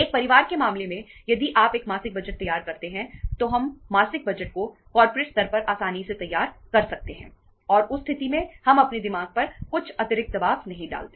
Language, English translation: Hindi, If in case of the one household in one family if you prepare a monthly budget then we can easily prepare the monthly budget at the corporate level and in that case we donít means put some extra pressure on our mind or on our head